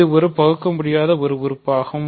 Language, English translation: Tamil, So, it is an irreducible element